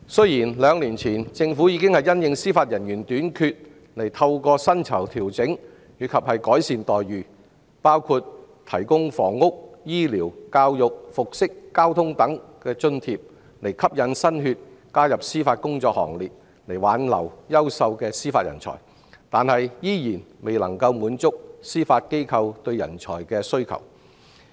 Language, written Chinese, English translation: Cantonese, 有見及此，政府在兩年前已調整司法人員薪酬及改善待遇，包括提供房屋、醫療、教育、服飾和交通等津貼，以吸引新血加入司法工作行列及挽留優秀的司法人才，但依然未能滿足司法機構的人才需求。, In view of this two years ago Judicial Officers were provided with pay adjustments and remuneration enhancements under which housing medical education dress and transportation allowances were granted to attract new blood and retain talents . However the Judiciary still fails to meet its manpower needs